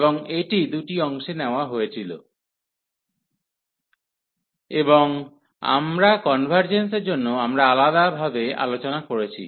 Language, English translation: Bengali, And this was taken into two parts, and we have discussed each separately for the convergence